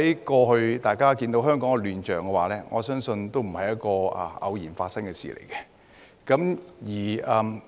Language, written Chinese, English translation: Cantonese, 過去香港的亂象，我相信不是偶然發生的事。, The chaos in Hong Kong in the past was not I believe something that had occurred accidentally